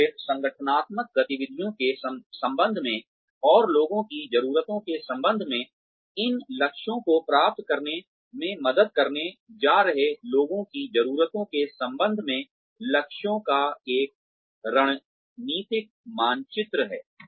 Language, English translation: Hindi, And then, there is a strategic mapping of aims, in relation to the organizational activities, and in relation to the needs of the people, who are going to help achieve these goals